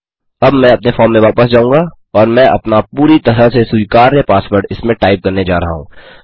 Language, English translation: Hindi, Now I will go back to my form and Im going to retype my perfectly acceptable password in